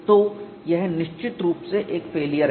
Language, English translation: Hindi, So, this is definitely a failure